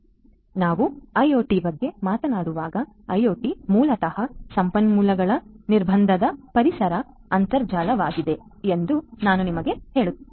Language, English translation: Kannada, So, when we talk about IoT as I was telling you that IoT is basically a resource constrained environment internet of things right